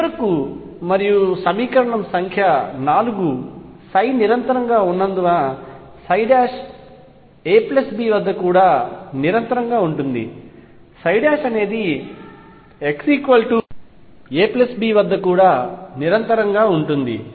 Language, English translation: Telugu, And finally, equation number 4, since psi is continuous, psi prime is also continuous at a plus b, psi prime is also continuous at x equals a plus b